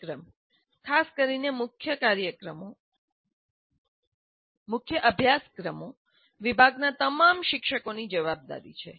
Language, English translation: Gujarati, And the program, especially the core courses, is the responsibility for all faculty in the department